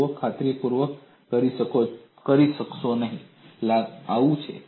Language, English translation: Gujarati, See, you will not be able to convincingly say, this is so